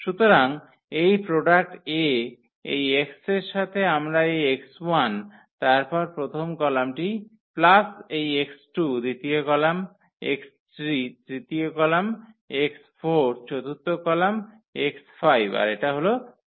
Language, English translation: Bengali, So, this product A and with this x we can also write down as this x 1 and then the first column plus this x 2, the second column x 3, the second third column x 4, this forth column x 5 and this fifth column 1, 3 ,4, 1 and this is equal to 0